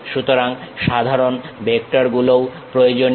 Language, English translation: Bengali, So, normal vectors are also important